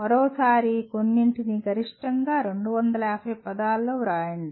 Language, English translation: Telugu, A maximum of 250 words can be written